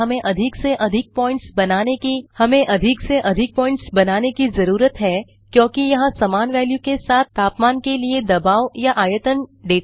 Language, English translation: Hindi, So to plot this data we need to create as many points as there are in Pressure or Volume data for Temperature , all having the same value